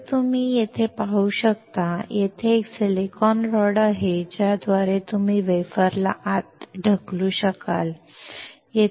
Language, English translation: Marathi, As you can see here, there is a silicon rod through which you can push the wafer inside